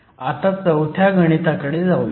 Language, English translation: Marathi, Let me now go to problem 4